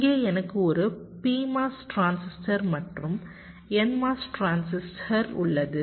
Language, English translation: Tamil, so here i have a p mos transistor and n mos transistor